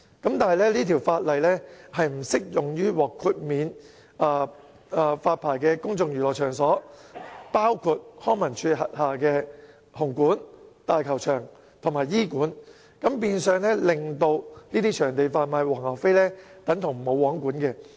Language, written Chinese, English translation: Cantonese, 但是，該條例不適用於獲豁免發牌的公眾娛樂場所，包括康文署轄下的紅磡香港體育館、香港大球場和伊利沙伯體育館，變相在這些場地外販賣"黃牛飛"的情況等同"無皇管"。, But this Ordinance does not apply to places of public entertainment exempted from licensing including the Hong Kong Coliseum at Hung Hom Hong Kong Stadium and Queen Elizabeth Stadium under LCSD and hence the selling of scalped tickets outside these venues is in a way not subject to regulation